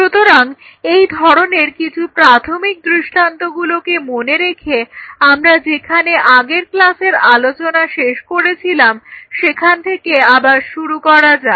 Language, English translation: Bengali, So, keeping these some of these basic paradigms in mind let me pick up where we left in the last class